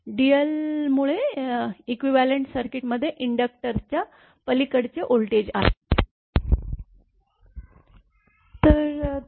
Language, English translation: Marathi, So, from the equivalent circuit the voltage across the inductor is